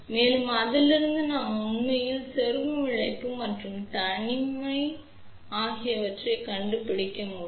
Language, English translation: Tamil, And, from that we can actually find out the insertion loss and isolation